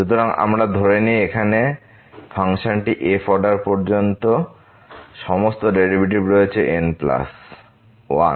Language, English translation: Bengali, So, we assume that the function here has all the derivatives up to the order plus 1